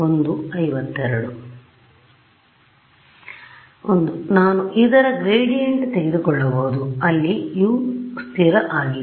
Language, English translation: Kannada, One is that I can take a gradient of this guy where I assume U is constant